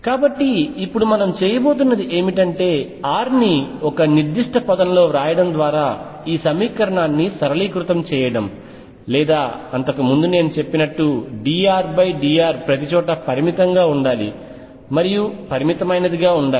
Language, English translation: Telugu, So, now we got we are going to do is simplify this equation by writing r in a certain term or before that I should also mention that d R over dr should also be finite everywhere and the finite